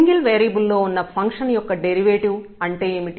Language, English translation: Telugu, So, what is derivative for a function of single variable